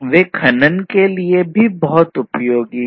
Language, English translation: Hindi, They are also very useful for mining environments